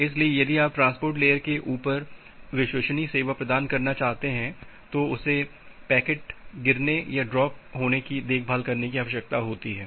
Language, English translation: Hindi, So, the transport layer, if you want to provide the reliable service on top of the transport layer, that needs up needs to take care of that packet drop